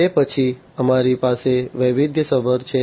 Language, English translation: Gujarati, Thereafter, we have the diversified one